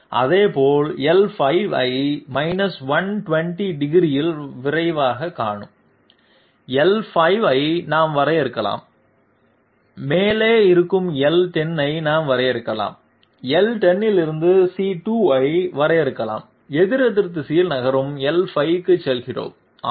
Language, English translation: Tamil, Likewise, we can define L5 that quickly see L5 at 120 degrees, we can define L10 which is at the top, we can define C2 from L10, we move to L5 moving in the counterclockwise direction and the radius is 24